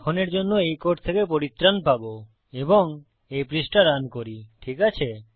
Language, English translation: Bengali, So Ill get rid of this code for now and run this page, okay